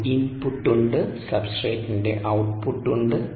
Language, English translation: Malayalam, there is an input, there is an output, of course, of the substrate, ah